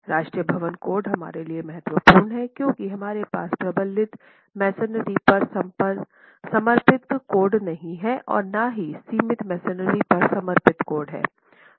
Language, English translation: Hindi, The National Building Code is important for us because we do not have a dedicated code on reinforced masonry, not a dedicated code on confined masonry